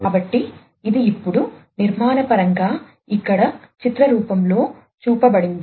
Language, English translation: Telugu, So, this is now architecturally shown over here in the form of a picture